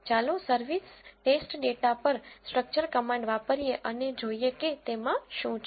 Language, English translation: Gujarati, Let us use the structure command on the service test data and see what it has